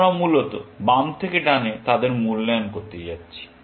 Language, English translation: Bengali, We are going to evaluate them from left to right, essentially